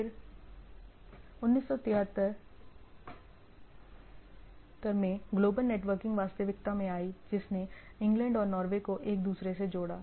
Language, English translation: Hindi, Then in 73 global networking became some sort of reality connecting in England and Norway